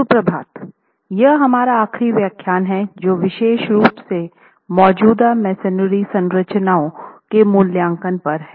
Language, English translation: Hindi, We will, this is our last lecture on the remaining portion which is on the special topic of assessment of existing masonry structures